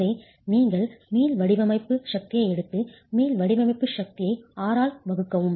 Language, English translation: Tamil, So you take the elastic design force and divide the elastic design force by R